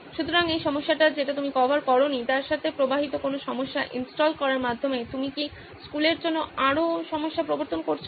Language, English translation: Bengali, So any problems downstream with this that you have not covered, by installing are you introducing more problems for the school